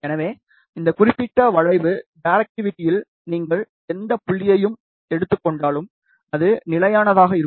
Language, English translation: Tamil, So, if you take any point along this particular curve, directivity will be constant